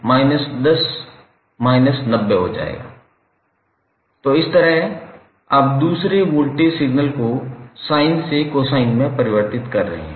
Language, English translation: Hindi, So, in this way you are converting the second voltage signal from sine to cosine